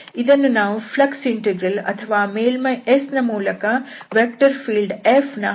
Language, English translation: Kannada, So, this is what we call the flux integral or the flux of a vector field F through a surface S